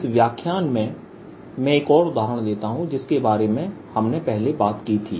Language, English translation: Hindi, in this lecture i will take another example which we talked about